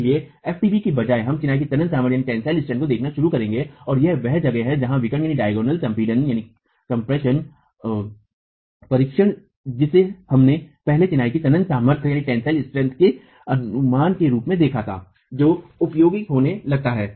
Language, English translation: Hindi, So, instead of FDT, we will start looking at the tensile strength of masonry and that is where the diagonal tension, diagonal compression test that we looked at earlier as an estimate of the tensile strength of masonry starts becoming useful